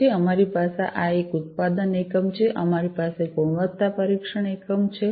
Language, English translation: Gujarati, Then we have this one is the production unit, we have the quality testing unit